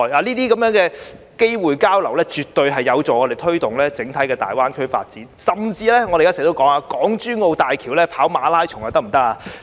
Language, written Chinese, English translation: Cantonese, 這些交流機會絕對有助我們推動大灣區的整體發展，甚至我們經常提到，可否在港珠澳大橋上進行馬拉松呢？, These exchange opportunities will definitely help promote the overall development of GBA and as we have often suggested can we conduct marathons on the Hong Kong - Zhuhai - Macao Bridge?